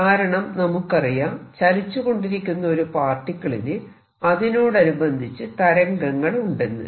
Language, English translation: Malayalam, Let us understand that, what it means is that if there is a particle which is moving there is a associated wave